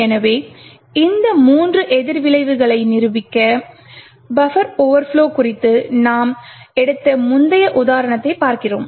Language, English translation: Tamil, So, to demonstrate these three countermeasures we look at the previous example that we took of the buffer overflow